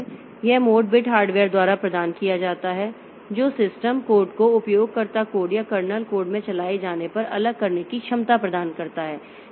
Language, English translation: Hindi, So, this mode bit provided by the hardware it provides ability to distinguish when the system is running in user code or kernel code